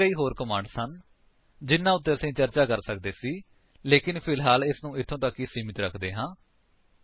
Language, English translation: Punjabi, There are several other commands that we could have discussed but we would keep it to this for now